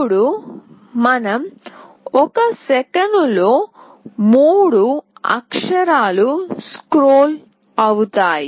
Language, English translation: Telugu, Now we can also make that in one second 3 characters will get scrolled